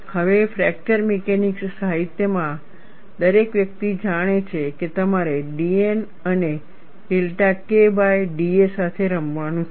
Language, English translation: Gujarati, Now, everybody in fracture mechanics literature knows, that you have to play with d a by d N and delta K